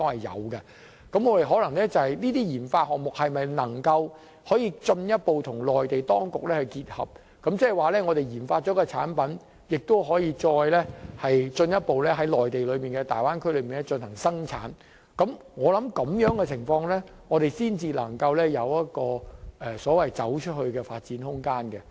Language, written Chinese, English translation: Cantonese, 而這些研發項目若能進一步與內地條件結合，即我們研發了一個產品，可以再進一步在內地大灣區進行生產，我相信我們要在這種情況下才能有"走出去"的發展空間。, And if we can then integrate our RD projects with the services available in Mainland I mean we can manufacture the RD products we have developed in the Bay Area . I think this is the only way that can give our RD some room for going global